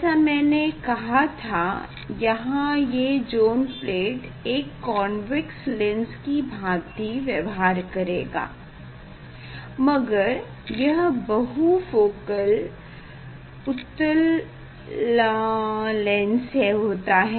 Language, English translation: Hindi, here as a cold this these zone plate will behave like a convex lens, but it has multifocal convex lens